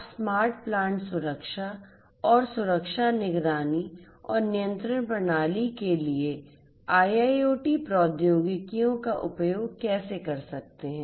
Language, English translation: Hindi, How you could use IIoT technologies to make smart plant safety and security monitoring and control system